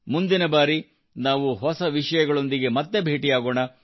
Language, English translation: Kannada, Next time we will meet again with new topics